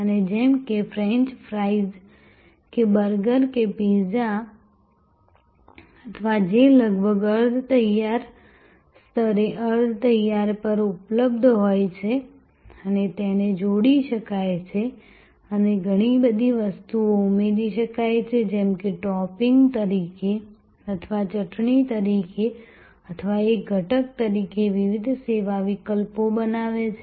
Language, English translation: Gujarati, And like whether French fries or burgers or pizzas or which are almost available on semi prepared at semi prepared level and they can be combined and lot of things can be added like as a topping or as a sauce or as an ingredient, creating different service alternatives